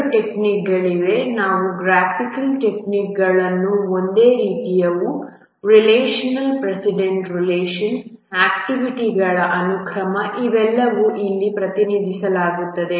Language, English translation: Kannada, Both the techniques, they are graphical techniques, they are similar precedence relations, the sequence of activities, these are all represented here